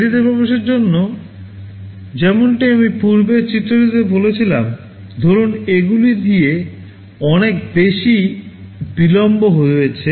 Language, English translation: Bengali, Now, for delayed entry as I had said in the previous diagram, suppose there is a delay in the entry by this much